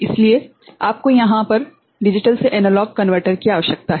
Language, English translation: Hindi, So, you need a digital to analog converter over there right